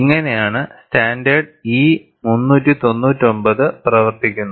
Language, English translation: Malayalam, This is how the standard E399 operates